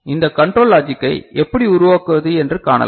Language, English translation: Tamil, And how you can generate you know this logic this control logic